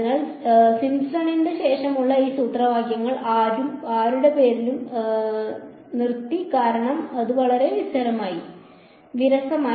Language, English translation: Malayalam, So, these formulae after Simpson they stopped being named after anyone because, it became too boring